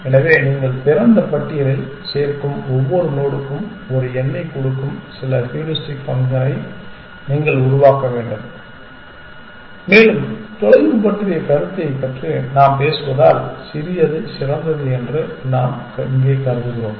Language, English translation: Tamil, So, you have to devise some heuristic function which will give you a number for every node that you add to the open list and we are assuming here that the smaller is the better because we are talking about notion of a distance